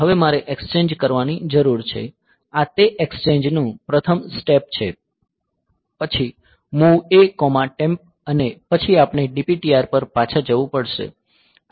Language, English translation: Gujarati, So, now, I need to exchange; so, these are first step of that exchange then MOV A comma temp MOV A comma temp and then we have to go back in the DPTR